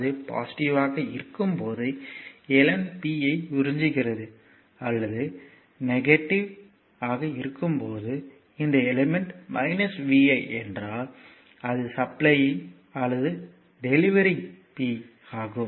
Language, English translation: Tamil, So, when it is positive then it is element is absorbing power when it is negative element this element minus vi means it is supplying or delivering power right that is why it is minus vi